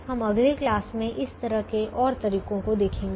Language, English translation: Hindi, we will look at one more such method in the next class